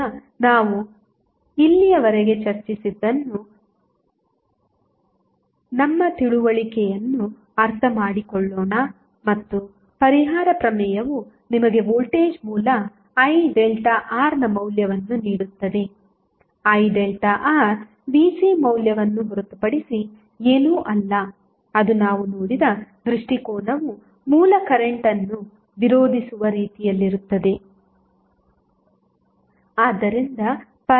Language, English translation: Kannada, Now, let us understand and justify our understanding what we have discussed till now, the compensation theorem will give you the value of voltage source I delta R that is nothing but the value Vc which we have seen and the look the orientation would be in such a way that it will oppose the original current